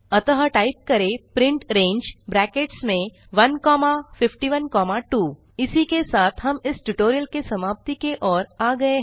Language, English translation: Hindi, So type print range within brackets 1 comma 51 comma 2 This brings us to the end of this tutorial